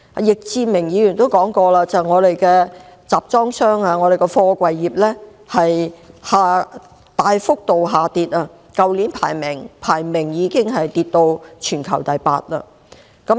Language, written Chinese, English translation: Cantonese, 易志明議員曾表示，香港的貨櫃業收入大幅下跌，貨櫃業去年的排名已經下跌至全球第八。, Mr Frankie YICK said that the income of Hong Kongs container terminals has fallen significantly and last year the ranking of our container industry fell to the eighth in the world